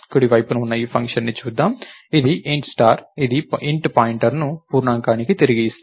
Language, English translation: Telugu, Lets look at this function on the right side, its also supposed to return an integer star, its its returning a pointer to an integer